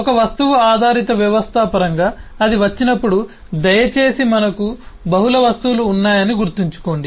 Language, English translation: Telugu, but in terms of an objectoriented system, when that comes in to be, please remember that we have multiple objects